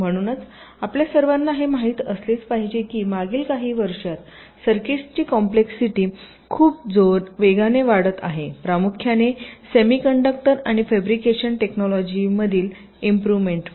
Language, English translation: Marathi, so, as you all must be, knowing that the complexity of circuits have been increasing very rapidly over the years, primarily because of improvements in semi conductor and fabrication technologies